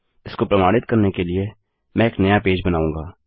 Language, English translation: Hindi, To prove this Ill create a new page